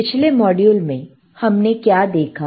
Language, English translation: Hindi, Here in the last module what we have seen